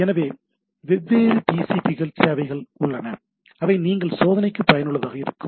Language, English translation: Tamil, So, there are different TCP servers which you can useful for testing